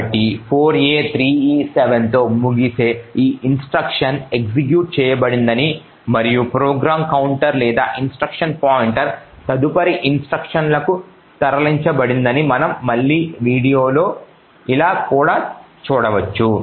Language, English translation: Telugu, So it says that this instruction which ends in 4a3e7 has executed and we could also see if we disassemble again that the program counter or the instruction pointer has moved to the next instruction